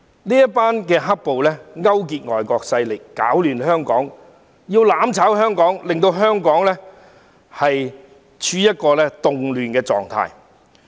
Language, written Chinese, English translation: Cantonese, 這些"黑暴"勾結外國勢力，攪亂香港，要"攬炒"香港，令香港處於動亂狀況。, Such rioters colluded with foreign forces to stir up trouble in Hong Kong to inflict mutual destruction on Hong Kong and to put Hong Kong in a state of turmoil